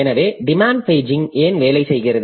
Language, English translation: Tamil, So, why does demand paging work